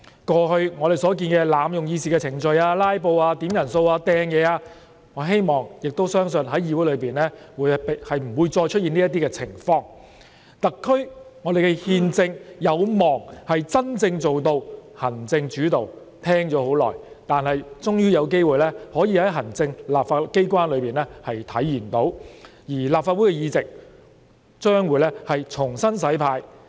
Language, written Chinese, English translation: Cantonese, 過去我們看到濫用議事程序、"拉布"、點算法定人數及擲物等行為，我希望並相信議會內不會出現這些情況，特區憲政有望真正做到行政主導——我聽聞久已，終於有機會可以在行政機關裏體現，而立法會議席將會重新"洗牌"。, In the past we have seen Members abuse legislative procedures filibuster by making quorum calls and throw objectives . I believe that all of these will disappear in the future Legislative Council . The constitutional system of the territory will hopefully become a genuine executive - led administration―which I have heard that term for a long time will eventually be embodied in the Executive Authorities; while there is definitely a shake - up of the Legislative Council